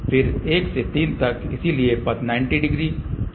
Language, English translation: Hindi, Then from 1 to 3, so the path is 90 and 90, 180 degree